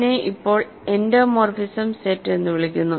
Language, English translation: Malayalam, So, this is called endomorphism set for now